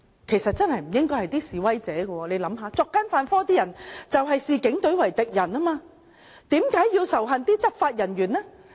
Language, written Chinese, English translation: Cantonese, 其實真的不應是示威者，大家想想，作奸犯科的人才視警隊為敵人，為何要仇恨執法人員呢？, It really should not be the demonstrators . Only those who commit crimes would see the Police as their enemy . Why should we hate law enforcement officers?